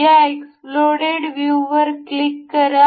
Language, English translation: Marathi, We will click on this exploded view